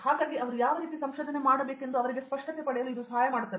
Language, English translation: Kannada, So, that would help them get a clarity as to what area of research they want to go in so